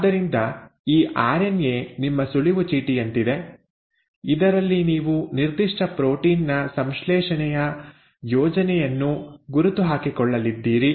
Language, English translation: Kannada, So this RNA is like your cue card in which you are going to note down the recipe for the synthesis of a particular protein